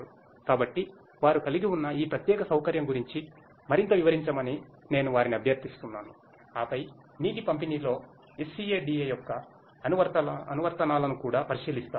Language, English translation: Telugu, So, I would request them to explain more about this particular facility that they have and then, we will also look at the applications of SCADA in water distribution